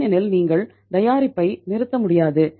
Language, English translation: Tamil, Because you cannot stop the product